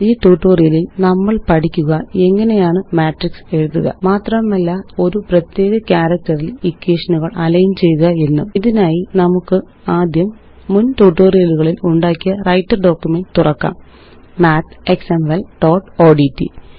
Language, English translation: Malayalam, In this tutorial, we will learn how to: Write a Matrix And Align equations on a particular character For this, let us first open our example Writer document that we created in our previous tutorials: MathExample1.odt